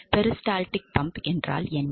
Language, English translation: Tamil, So, what exactly peristaltic pump